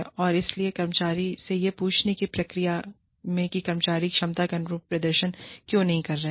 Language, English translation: Hindi, And so, in the process of asking the employee, what is going on, why the employee is not performing up to potential